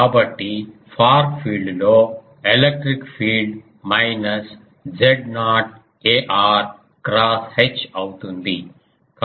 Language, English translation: Telugu, So, electric field in the far field will be minus Z naught ar cross H